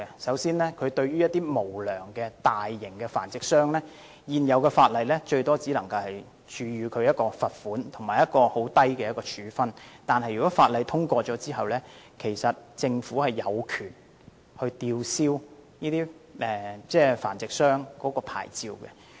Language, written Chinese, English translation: Cantonese, 首先，對於無良的大型繁殖商，現時法例最多只能處以罰款，以及很輕微的處分，但修訂規例生效後，政府便有權吊銷這些繁殖商的牌照。, First of all for unscrupulous large - scale breeders the maximum penalty under the existing legislation is a fine and the sanction imposed is very light . But after the commencement of the Amendment Regulation the Government will have the right to revoke the licences of these breeders